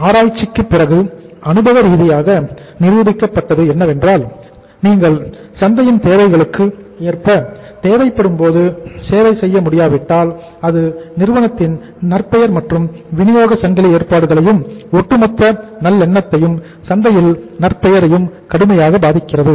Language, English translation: Tamil, It has been empirically proved after research that if you are not able to serve the market for the needs of the market as and when it is required then it affects the company’s reputation and supply chain arrangements as well as overall goodwill and reputation of the market severely